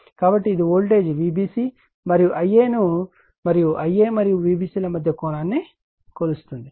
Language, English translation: Telugu, So, it measures the voltage V b c and the I a and the angle between the I a and V b c that we need